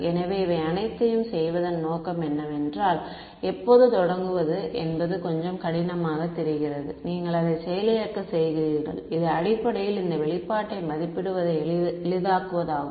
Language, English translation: Tamil, So, I mean the objective of doing all of this, it looks a little tedious to begin with, when you get the hang of it, it is basically to simplify evaluating this expression right